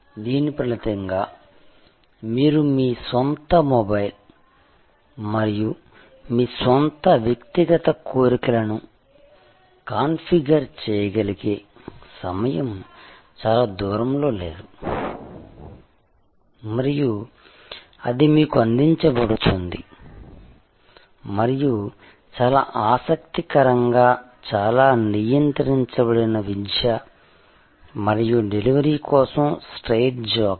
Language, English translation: Telugu, As a result of which time is not far, when you can configure your own mobile and your own personal desires and it will be delivered to you and very interestingly, education which was quite regulated and straitjacket for delivery